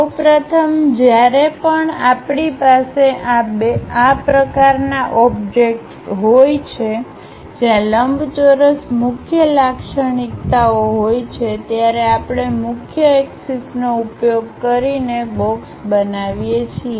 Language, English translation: Gujarati, First of all, whenever we have such kind of objects where rectangles are the dominant features we go ahead construct a box, using principal axis